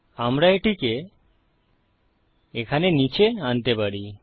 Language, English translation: Bengali, We can bring it down here